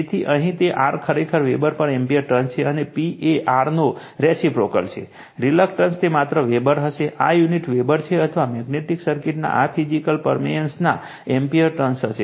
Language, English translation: Gujarati, So, here it is R is actually ampere turns per Weber, and P is the reciprocal of R, the reluctance it will be just Weber, this unit will be Weber or ampere turns of this physical permeance of the magnetic circuit right